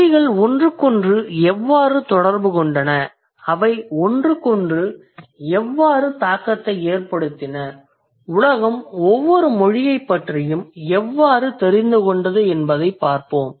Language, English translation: Tamil, And now let's look at it how the languages came into contact with each other, how they influenced each other and how the world came to know about each other's language